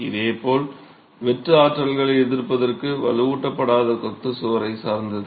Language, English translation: Tamil, Similarly, it will depend on the unreinforced masonry wall to resist shear forces